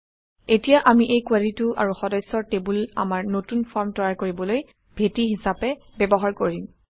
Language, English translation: Assamese, Now we will use this query and the members table as the base for creating our new form